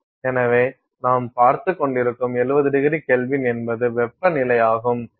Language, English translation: Tamil, So, 70ºK is what you’re looking at is as the temperature